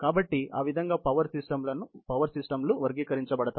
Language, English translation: Telugu, So, that is how the power systems are classified, categorized